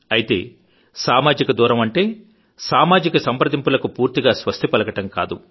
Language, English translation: Telugu, But we have to understand that social distancing does not mean ending social interaction